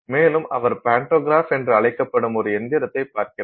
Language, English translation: Tamil, So, he looks at a machine called a pantograph